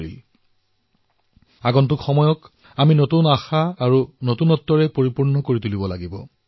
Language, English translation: Assamese, We have to infuse times to come with new hope and novelty